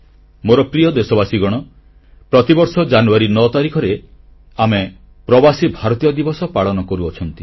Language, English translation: Odia, My dear countrymen, we celebrate Pravasi Bharatiya Divas on January 9 th every year